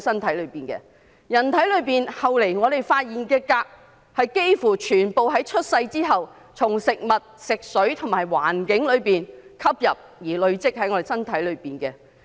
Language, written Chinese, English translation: Cantonese, 其後在人體發現的鎘，幾乎全部是出生後從食物、食水及環境吸入而累積體內的。, Cadmium subsequently found in human bodies is in almost all cases absorbed through intake of food and water and inhalation exposure after birth